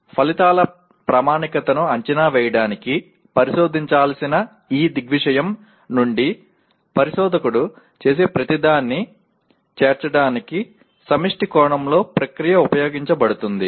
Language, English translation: Telugu, Process is used in the collective sense to include everything the investigator does from this selection of the phenomena to be investigated to the assessment of the validity of the results